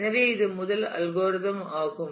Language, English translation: Tamil, So, this is the first algorithm